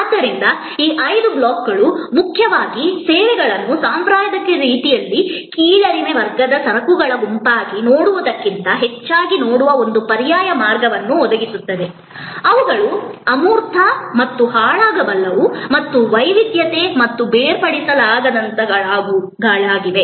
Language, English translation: Kannada, So, these five blocks mainly provide us an alternative way of looking at services rather than looking at it in a traditional way as a set of inferior class of goods, which are intangible and perishable and heterogeneity and inseparable, etc